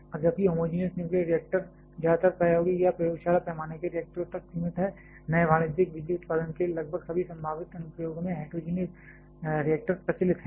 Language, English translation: Hindi, Now, while homogenous nuclear reactors are tilted mostly restricted to experimental or lab scale reactors, heterogeneous nuclear reactor prevails almost in all possible applications for new commercial power generation